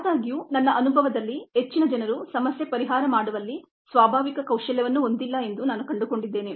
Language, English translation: Kannada, however, in my experience i found that most people do not have problem solving as that natural skill